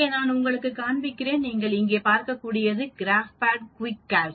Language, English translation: Tamil, Let me show you that here, when you do that as you can see here, this is the GraphPad QuickCalcs